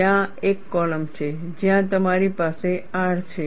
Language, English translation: Gujarati, There is a column, where you have R